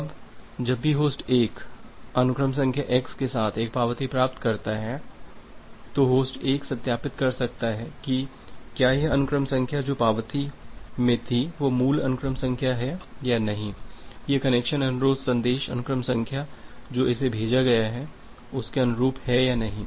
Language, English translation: Hindi, Now, whenever the host 1 receives an acknowledgement with sequence number x host 1 can verify whether this sequence number which was there in the acknowledgement it is the original sequence number or not it is the sequence number of the connection request message that is sent it is corresponding to that or not